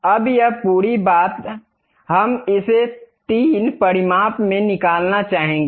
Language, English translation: Hindi, Now, this entire thing, we would like to extrude it in 3 dimensions